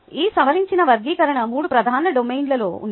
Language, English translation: Telugu, this revised taxonomy is in three major domains